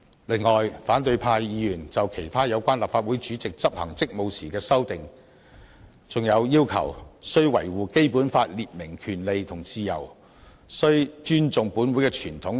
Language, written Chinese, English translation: Cantonese, 此外，反對派議員就立法會主席執行職務提出修訂，包括"須維護《基本法》列明的權利與自由"及"須尊重本會之傳統"等。, Besides opposition Members have proposed amendments on the discharge of duties by the President including that the President shall defend the freedoms and rights as set out in the Basic Law and the President shall respect the tradition of the Council etc